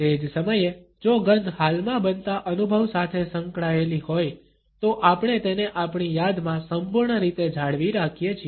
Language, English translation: Gujarati, At the same time if the smell is associated with a currently occurring experience, we retain it in our memory in totality